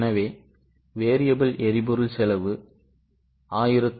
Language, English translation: Tamil, So, variable power cost 1103